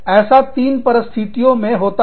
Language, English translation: Hindi, Now, this can happen, in three situations